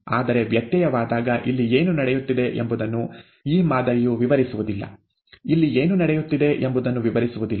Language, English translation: Kannada, But this model does not describe what is going on here when there is a variation, does not describe what is going on here, and so on and so forth